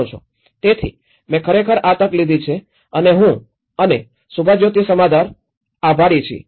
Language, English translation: Gujarati, So, I really have taken this opportunity and myself and Subhajyoti Samaddar